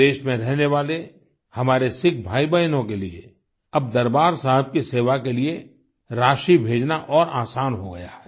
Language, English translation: Hindi, It has now become easier for our Sikh brothers and sisters abroad to send contributions in the service of Darbaar Sahib